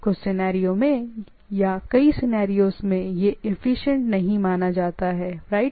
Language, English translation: Hindi, In some scenarios or in several scenarios it considered to be not efficient, right